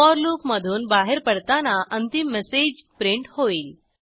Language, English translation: Marathi, On exiting the for loop, the final message is printed